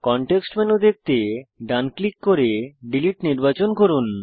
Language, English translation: Bengali, Right click to view the context menu and select Delete